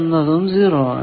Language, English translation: Malayalam, So, this is 0